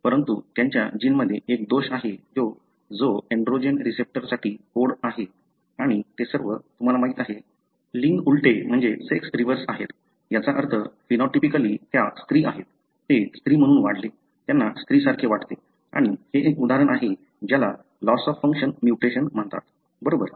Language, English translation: Marathi, But, they have a defect in their gene that codes for androgen receptor and all of them are, you know, sex reversed, meaning phenotypically they are female; they grew up as female, they feel like female and this is an example of what is called as loss of function mutation, right